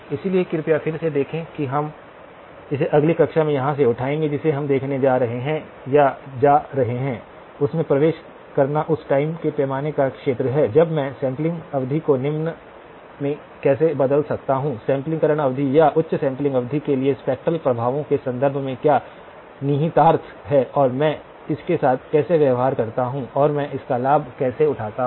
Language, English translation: Hindi, So, again please look at this we will pick it up from here in the next class, what we are going to be looking at or going, entering into is the area of the time scale when how can I change the sampling period to a lower sampling period or to a higher sampling period, what are the implications in terms of the spectral effects and how do I deal with it and how do I leverage it to our advantage